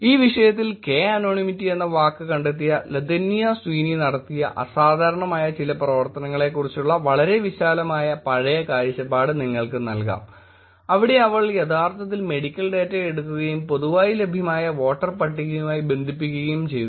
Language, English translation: Malayalam, Just to give you some very broad old view of some phenomenonal work that was done in this topic Latanya Sweeney, who did this word called k anonymity, where she actually picked up the medical data and connected to the voter list which is publicly available